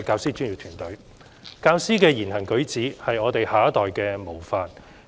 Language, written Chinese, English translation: Cantonese, 主席，教師的言行舉止的確是下一代的模範。, President teachers indeed serve as role models for our next generation by words and deeds